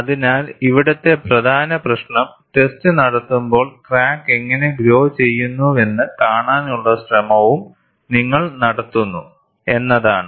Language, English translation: Malayalam, So, the key issue here is, you are also making an attempt, to see how the crack grows, when the test is being performed